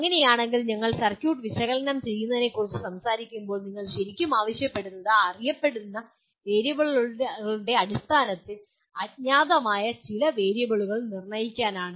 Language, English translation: Malayalam, So in that case when we are talking about analyzing the circuit what you really are asking for determine some unknown variable in terms of known variables